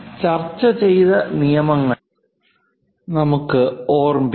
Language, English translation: Malayalam, Let us recall our discussed rules